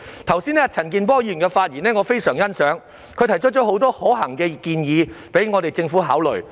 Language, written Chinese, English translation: Cantonese, 我非常欣賞陳健波議員剛才的發言，他提出了很多可行的建議供政府考慮。, I very much appreciate Mr CHAN Kin - pors speech just now in which he raised quite a number of recommendations for consideration by the Government